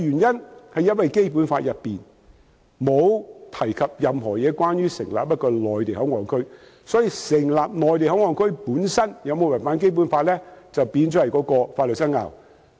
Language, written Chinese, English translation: Cantonese, 因為《基本法》並無提及任何有關成立內地口岸區的事宜，所以，成立內地口岸區本身有否違反《基本法》，就成為了法律上的爭拗。, As the establishment of MPA is not mentioned in the Basic Law there have been controversies over whether the establishment of MPA is in breach of the Basic Law